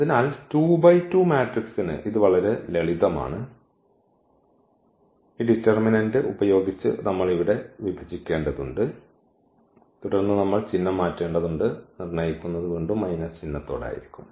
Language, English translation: Malayalam, So, for 2 by 2 matrix it is simple, so we have to divide here by this determinant and then we need to change the sign and determined will be again with minus sign